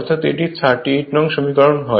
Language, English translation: Bengali, So, this is equation 35